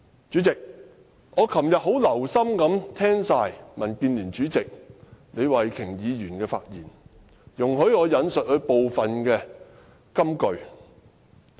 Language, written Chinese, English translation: Cantonese, 主席，我昨天很留心聽畢民建聯主席李慧琼議員的發言，容許我引述她部分金句。, President I have listened very carefully to the speech made by Ms Starry LEE Chairperson of the Democratic Alliance for the Betterment and Progress of Hong Kong DAB yesterday